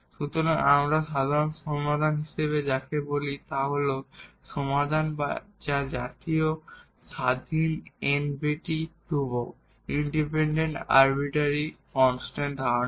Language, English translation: Bengali, So, what do we call as the general solution it is the solution containing n independent arbitrary constants